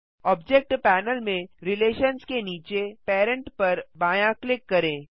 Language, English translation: Hindi, Left click Parent under Relations in the Object Panel